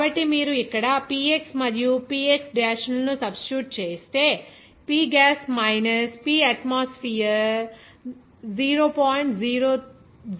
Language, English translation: Telugu, So, if you substitute that Px and Px dash here, we can say that P gas minus P atmosphere that will be coming as 0